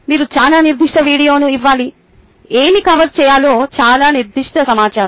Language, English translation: Telugu, you will have to give a very specific video, very specific information about what to cover